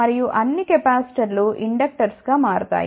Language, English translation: Telugu, And all capacitors will become inductors